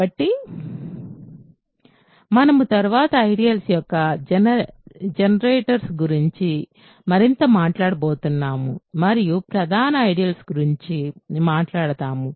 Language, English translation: Telugu, So, we are going to talk more about generators of ideals later and talk about principal ideals